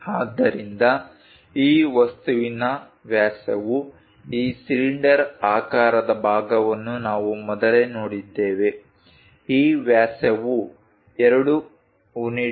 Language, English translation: Kannada, So, the diameter for this object this cylindrical part what we have looked at earlier, this one this diameter is 2 units